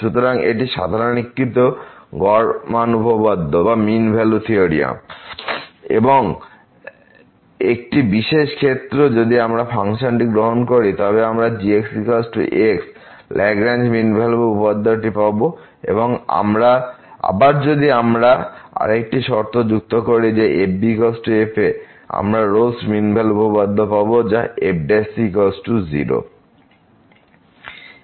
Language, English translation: Bengali, So, this is the generalized mean value theorem and as a particular case if we take the function is equal to we will get the Lagrange mean value theorem and again if we add another condition that is equal to we will get the Rolle’s mean value theorem which is prime is equal to